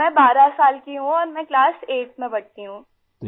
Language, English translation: Urdu, I am 12 years old and I study in class 8th